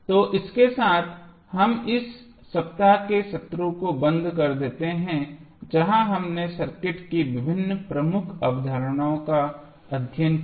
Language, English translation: Hindi, So, with this we close this week sessions where we studied various key concept of the circuit